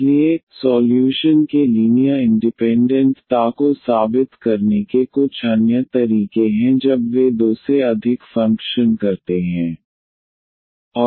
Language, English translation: Hindi, So, there are some other ways to prove the linear independence of the solutions when they are more than two functions